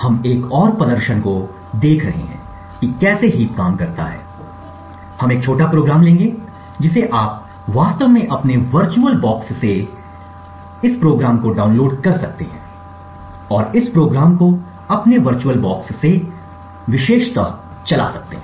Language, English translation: Hindi, So we will be looking at another demonstration for how the heap works, we will take a small program you could actually download this program from your VirtualBox and run this program preferably from your VirtualBox